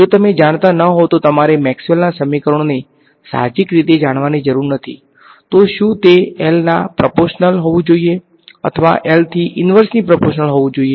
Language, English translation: Gujarati, If you did not know you do not need to know Maxwell’s equations intuitively, should it depend proportional to be proportional to L or inversely proportional to L